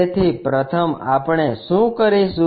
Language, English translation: Gujarati, So, first what we will do